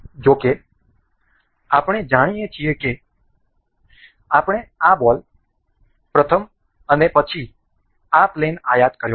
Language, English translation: Gujarati, However, as we know that we I have imported this ball for the first and then the this plane